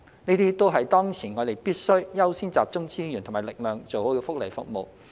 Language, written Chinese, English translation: Cantonese, 這些都是當前我們必須優先集中資源和力量做好的福利服務。, At this moment we should accord priority to pooling our resources and efforts to the provision of timely welfare services